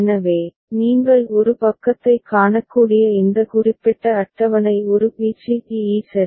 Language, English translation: Tamil, So, this particular table you can see one side is a b c d e ok